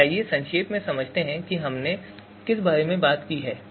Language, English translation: Hindi, So let us do a quick recap of what we have discussed so far